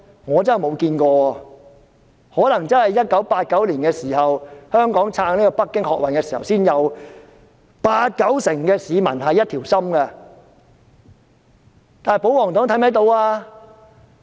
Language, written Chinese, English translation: Cantonese, 我真的未看過，可能在1989年，香港撐北京學運時才看到八九成市民是一條心的，但保皇黨是否看得到呢？, I have really not come across such a high rate . Perhaps in 1989 when Hong Kong was in support of the student movement in Beijing that a consensus was reached among 80 % or 90 % of the respondents . However can the royalists see such a result?